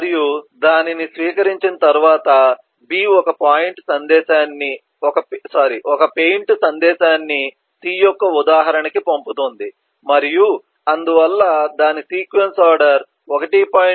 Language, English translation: Telugu, 2 and on receiving that b sends a message paint to an instance of c and there its sequence expression turns out to be 1